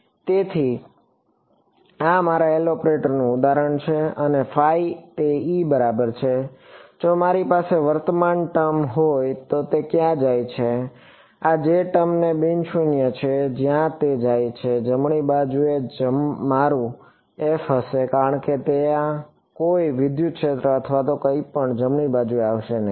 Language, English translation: Gujarati, So, this is an example of my L operator and this is my phi ok, if I had a current term where do it go; this J term it is a non zero where do it go it would be my f on the right hand side right because there would be no electric field or anything it would come on the right hand side